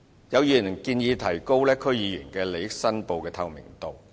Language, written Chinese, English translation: Cantonese, 有議員建議提高區議員利益申報制度的透明度。, A Member has suggested that the transparency of the system for DC members declaration of interests be enhanced